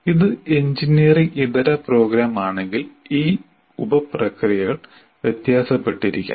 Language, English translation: Malayalam, If it is non engineering program, the sub processes may differ